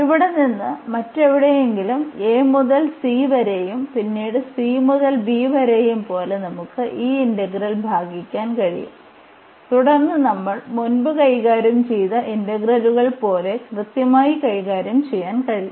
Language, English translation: Malayalam, We can also break this integral at some middle at some other point here like a to c and then c to b and then we can handle exactly the integrals we have handled before